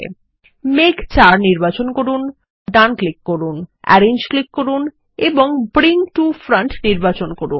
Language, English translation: Bengali, Lets select cloud 4, right click for context menu, click Arrange and select Bring to Front